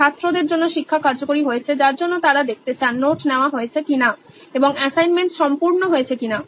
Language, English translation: Bengali, Effective learning has happened for the student which is why they want to see whether the notes have been taken and the assignments have been complete